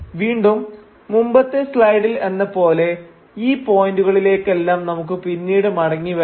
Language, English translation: Malayalam, So again, as with the previous slide, we will come back to each of these points later